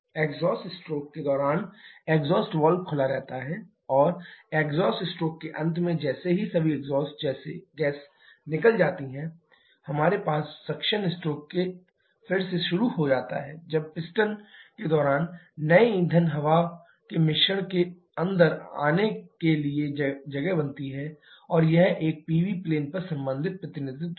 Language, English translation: Hindi, During the exhaust stroke the exhaust valve is open and at the end of exhaust stroke as soon as all the exhaust gases are gone out, we have the suction stroke starting again during the piston is moving down making more space for the new fuel air mixture to come in